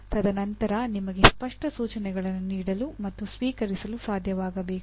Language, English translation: Kannada, And then further you should be able to give and receive clear instructions